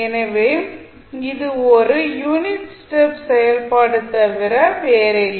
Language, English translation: Tamil, So, this is nothing but a unit step function